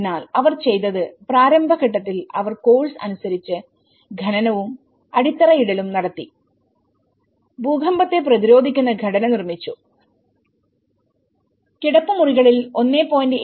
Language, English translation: Malayalam, So, what they did was in the initial stage they done the excavation and laying of the foundations as per the course, the earthquake resistant structure has been built and the walls were built about sill level about 1